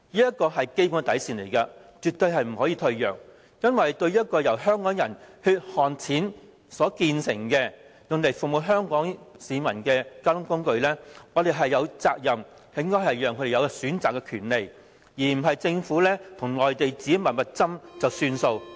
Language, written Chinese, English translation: Cantonese, 這是基本底線，絕不能退讓，因為對於一個由香港人的血汗錢所建成，用作服務香港市民的交通工具，我們有責任讓香港人有選擇的權利，而不是政府與內地自行"密密斟"便算數。, This is our bottom line and we will not give in . The rail link is funded by Hong Kong peoples hard - earned money and is to serve Hong Kong people . We have the responsibility to give Hong Kong people the right to choose instead of just letting the Government secretly make a deal with the Mainland